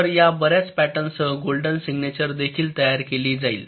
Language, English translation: Marathi, so these many patterns will also be mapping into the golden signature